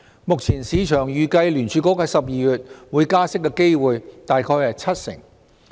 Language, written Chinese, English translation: Cantonese, 目前市場預計聯儲局在12月會加息的機會大概為七成。, According to the present market anticipation the probability of a Federal Reserve rate hike in December is about 70 %